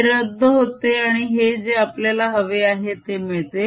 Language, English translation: Marathi, this cancel, and this is what i get